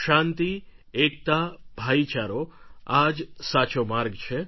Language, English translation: Gujarati, Peace, unity and brotherhood is the right way forward